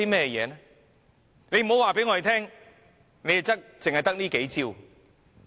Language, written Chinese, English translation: Cantonese, 不要告訴我們它只得這數招。, It had better not tell us that these are the only measures it can take